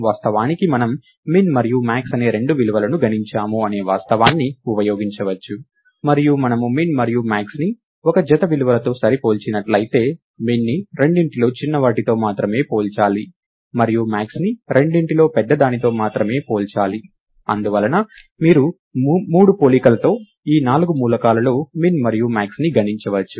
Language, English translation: Telugu, Of course, one can use the fact that, we have computed two values which are min and max, and if we compare min and max with a pair of values, then min needs to be compared only with the smaller of the two, and max needs to be compared only with the larger of the two, and therefore, you can compute the min and max among these four elements with 3 comparisons